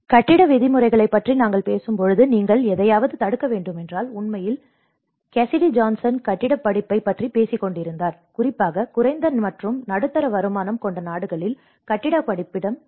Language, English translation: Tamil, Like when we talk about the building regulations, if you are to prevent something and in fact, Cassidy Johnson was talking about the building course, the need for the building course especially in the low and middle income group countries